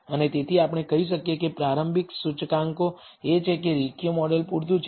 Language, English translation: Gujarati, And so, we can say the initial indicators are that a linear model is adequate